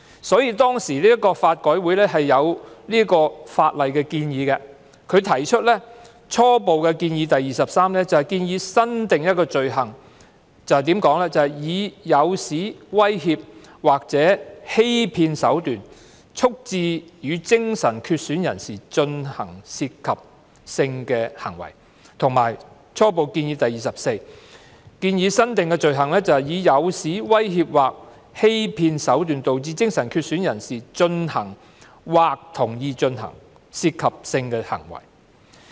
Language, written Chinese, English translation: Cantonese, 所以，法改會當時就法例提出初步建議 23" 新訂罪行以誘使、威脅或欺騙手段促致與精神缺損人士進行涉及性的行為"，以及初步建議 24" 新訂罪行以誘使、威脅或欺騙手段導致精神缺損人士進行或同意進行涉及性的行為"。, Therefore LRC proposed Preliminary Recommendation 23 Proposed new offence Inducement threat or deception to procure sexual activity with a person with mental impairment PMI and Preliminary Recommendation 24 Proposed new offence Causing a PMI to engage in or agree to engage in sexual activity by inducement threat or deception